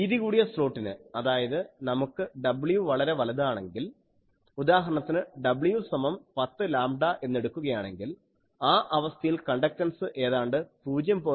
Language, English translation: Malayalam, So, for a wide slot, if we have w is large, let us say w is equal to 10 lambda, in that case the conductance is roughly 0